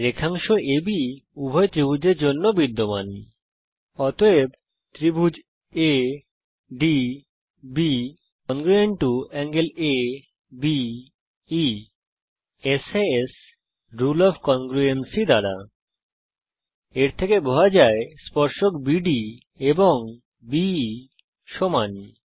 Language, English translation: Bengali, Segment AB is common to both the triangles,therefore △ADB ≅ △ABE by SAS rule of congruency It implies Tangents BD and BE are equal